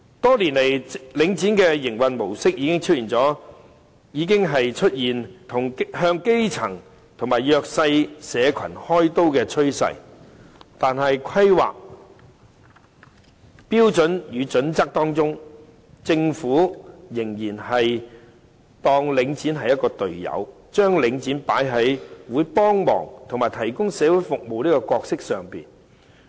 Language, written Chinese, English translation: Cantonese, 多年前領展的營運模式已經出現向基層及弱勢社群開刀的趨勢，但在規劃標準與準則中，政府仍然當領展是"隊友"，將領展放在會幫忙提供社會服務這角色上。, Years ago we began to see a trend of the grass - roots people and the disadvantaged being made to bear the brunt by Link REIT in its modus operandi but in its planning standards and guidelines the Government has still treated Link REIT as its teammate by placing Link REIT in the role of assisting in the provision of social services